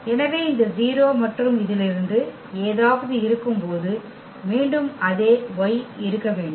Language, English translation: Tamil, So, again the same thing should hold when we have this 0 and something from this Y